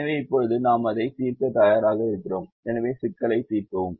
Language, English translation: Tamil, now we are ready to solve this problem